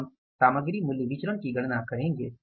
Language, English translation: Hindi, We will calculate the material price variance